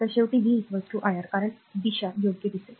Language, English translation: Marathi, So, ultimately v will be is equal to iR because direction will change right